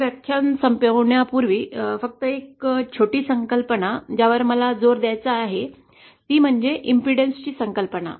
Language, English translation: Marathi, Now before ending this lecture just one small concept, I want to stress is the concept of impedance